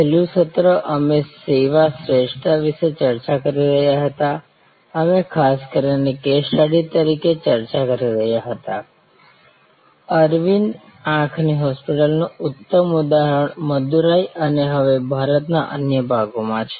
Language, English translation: Gujarati, Last session we were discussing about Service Excellence, we were particularly discussing as a case study, the great example of Arvind eye hospital in Madurai and other parts of India now